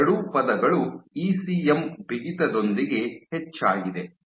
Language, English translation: Kannada, So, both these terms increased with ECM stiffness